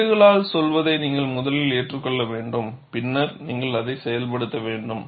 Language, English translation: Tamil, You have to first digest what the codes say, then, you will have to get it implemented